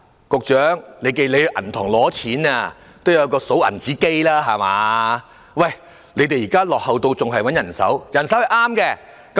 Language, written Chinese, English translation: Cantonese, 局長，當銀行都有數鈔機了，你們卻落後到仍然用人手點票。, Secretary banks are using banknote counters these days . How come you are so backward and count the votes manually?